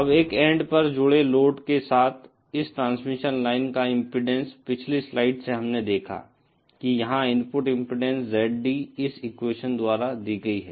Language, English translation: Hindi, Now the impedance of this transmission line with the load connected at one end, we saw from the previous slide that the input impedance ZD here is given by this equation